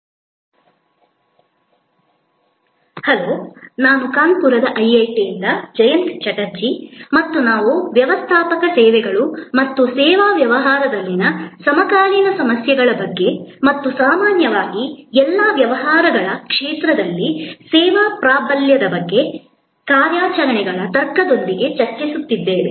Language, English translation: Kannada, Hello, I am Jayanta Chatterjee from IIT, Kanpur and we are discussing Managing Services and the contemporary issues in service business as well as in the area of all businesses in general with the logic of service dominant operations